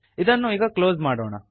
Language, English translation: Kannada, Let us close this